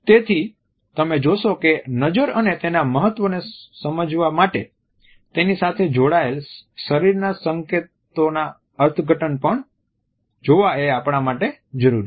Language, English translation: Gujarati, So, you would find that in order to understand the glance and its significance it is imperative for us to look at the interpretations of the accompanying body signals also